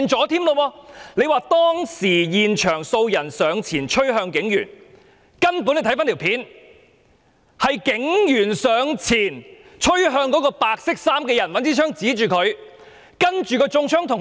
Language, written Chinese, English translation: Cantonese, 他說當時現場有數人上前趨向警員，但有關片段顯示，是警員上前趨向白衣人，並用槍指向他。, He said that at that time some people at the scene approached the police officer but the relevant footage showed that the police officer approached the white - clad man and pointed his service revolver at him